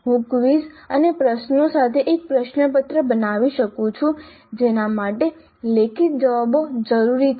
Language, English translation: Gujarati, I could create a question paper with quizzes and questions which require written responses